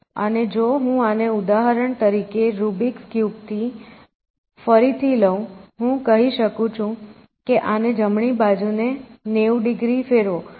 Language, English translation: Gujarati, And so, if I take this for example, rubrics cube again, I can say make this move rotate right, this right face by 90 degrees